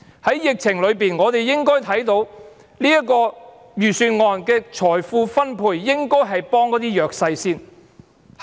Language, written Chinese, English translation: Cantonese, 在疫情下，我們應該看到，這份預算案的財富分配應該是先幫助弱勢的人士。, Under the epidemic situation we should have seen a Budget whose wealth distribution is for helping the disadvantaged first